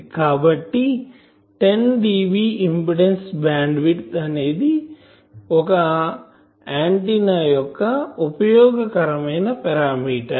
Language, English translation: Telugu, So, it is an 10 dB impedance bandwidth is a useful parameter for an antenna